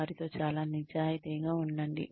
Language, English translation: Telugu, Be very honest with them